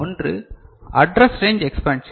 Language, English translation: Tamil, One is the address range expansion